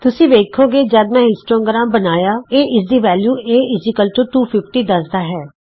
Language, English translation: Punjabi, Notice when I create the histogram, it creates this value a=250